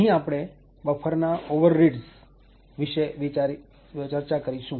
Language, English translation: Gujarati, Here we are going to discuss about buffer overreads